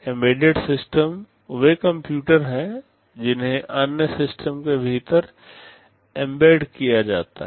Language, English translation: Hindi, Embedded systems are computers they are embedded within other systems